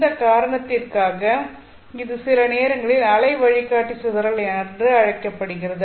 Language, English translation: Tamil, For this reason, this is sometimes called as the wave guide dispersion